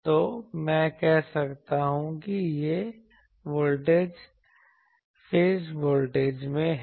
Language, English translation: Hindi, So, I can say that this voltage let us say in phase voltage